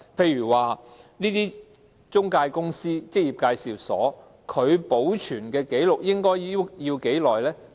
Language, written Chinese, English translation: Cantonese, 例如中介公司、職業介紹所要保存相關紀錄多久呢？, For instance for how long are intermediaries and employment agencies required to keep the relevant records?